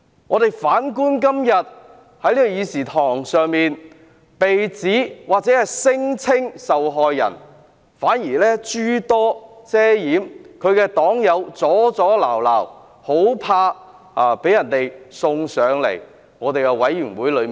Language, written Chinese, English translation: Cantonese, 我們反觀今天在會議廳，所謂的受害人反而遮遮掩掩，他的黨友不斷阻撓，深怕有關事宜交付調查委員會處理。, This shows his magnanimity . Conversely we notice that the so - called victim has acted secretively in the Chamber today and Members of his party have time and again tried to prevent the passage of the motion for fear that the matter will be referred to an investigation committee